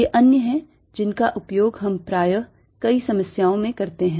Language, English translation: Hindi, these are the other ones that we use most often in in a many problems